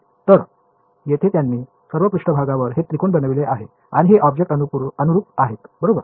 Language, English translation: Marathi, So, here they have made these triangles all over the surface and these are conformal to the object ok